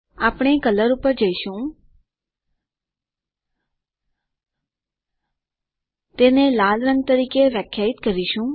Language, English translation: Gujarati, We will go to color, we define it as red